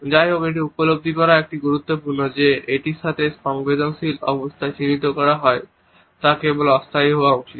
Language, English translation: Bengali, However, it is also important to realize that the emotional state which is identified with it should be only temporary